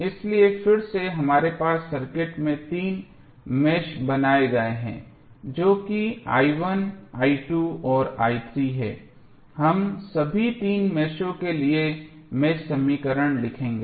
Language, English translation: Hindi, So, again we have three meshes created in the circuit that is i 1, i 2 and i 3, we will write the mesh equation for all three meshes